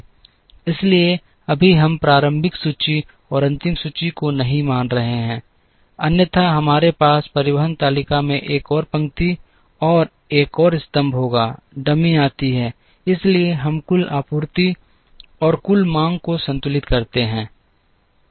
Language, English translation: Hindi, So, right now we are not assuming initial inventory and final inventory, otherwise we will have one more row and one more column in the transportation table, the dummy comes; so that, we balance the total supply and the total demand